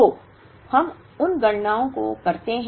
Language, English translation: Hindi, So, let us do those calculations